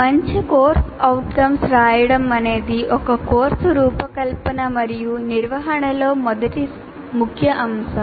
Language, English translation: Telugu, The writing good course outcomes is the first key element in designing and conducting a course